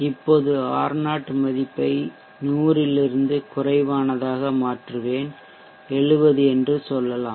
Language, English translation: Tamil, Let me now change the R0 value from 100 to something lower let us say 70